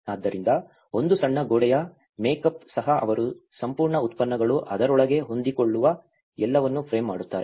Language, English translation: Kannada, So, even a small wall makeup itself frames everything that their whole products can fit within it